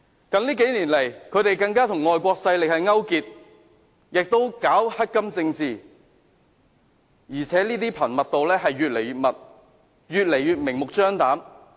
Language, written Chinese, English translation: Cantonese, 近年，他們更與外國勢力勾結，並搞"黑金政治"，而且這些活動越來越頻密，越來越明目張膽。, In recent years they have even colluded with foreign forces and gone for money politics . These activities have become increasing frequent and flagrant